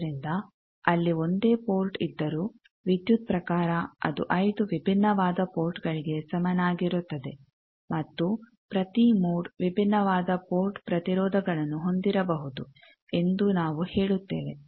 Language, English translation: Kannada, So, we say that it is though there may be a single port there, but we say electrically it is equivalent different ports and each mode may have different port impedances